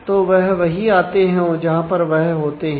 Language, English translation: Hindi, So, they come wherever there